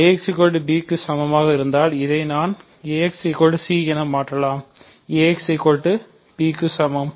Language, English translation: Tamil, So, if ax equal to b, I can replace this as ax c, b is equal to ax